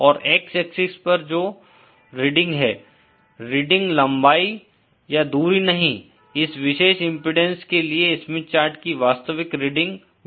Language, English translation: Hindi, And the reading on the x axis, reading, not the length or the distance, the actual reading on the Smith chart will be the VSWR for this particular impedance